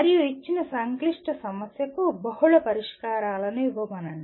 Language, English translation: Telugu, And give multiple solutions to a given complex problem